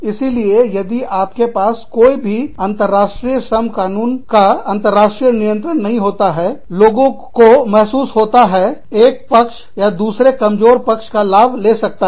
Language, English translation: Hindi, So, if you do not have any international, internationally governed labor law, then people feel that, one side or another, could end up taking advantage, of the more vulnerable side